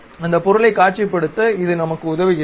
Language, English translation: Tamil, It help us to really visualize that object